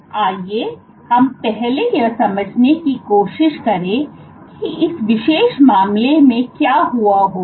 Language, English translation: Hindi, So, let us let us first try to understand what would have happened in this particular case